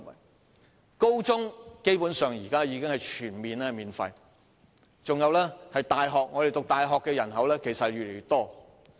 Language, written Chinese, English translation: Cantonese, 現時高中教育基本上全面免費，入讀大學的人數亦越來越多。, At present senior secondary education is basically completely free . The number of students admitted to universities is also on the rise